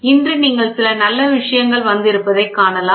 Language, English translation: Tamil, Today you can see beautiful things have come